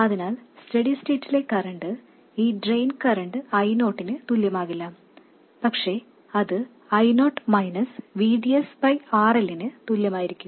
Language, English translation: Malayalam, So the current, in steady state, state, this drain current will not be equal to I0 but it will be equal to I0 minus VDS by RL